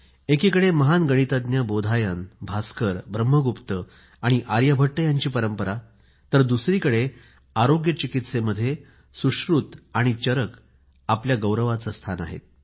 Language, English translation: Marathi, On the one hand, there has been a tradition of great Mathematicians like Bodhayan, Bhaskar, Brahmagupt and Aryabhatt; on the other, in the field of medicine, Sushrut & Charak have bestowed upon us a place of pride